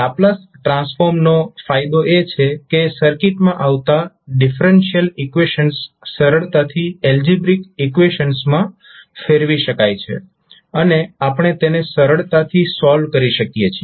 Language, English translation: Gujarati, So the advantage of having the Laplace transform is that the differential equations which are coming in the circuit can be easily converted into the algebraic equations and we can solve it easily